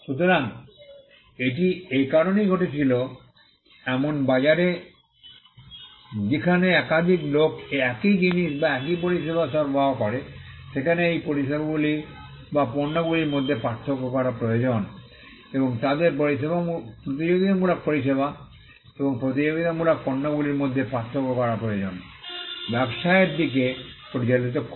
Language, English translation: Bengali, So, this came about because, in a marketplace where there are multiple people offering the same goods or the same service, there is a need to distinguish these services or goods and they need to distinguish competitive services and competitive product, led to the businesses, who are offering these competitive products and services to distinguish their products and services by way of marks